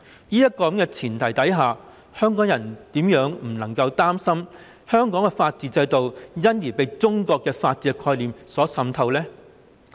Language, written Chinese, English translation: Cantonese, 在這樣的前提下，香港人怎會不擔心香港的法律制度會因而被中國的法律概念所滲透呢？, Against this background how would the people of Hong Kong not worry that the legal concepts of China will penetrate the legal system of Hong Kong?